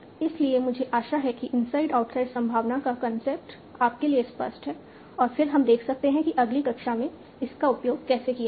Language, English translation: Hindi, So I hope this concept of inside process probability is clear to you and then we can see how to use that further in the next class